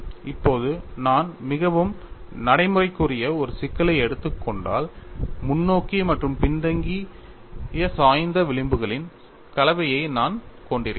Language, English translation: Tamil, Now, if I take up a problem which is particle I had a combination of both forward and backward tilted fringes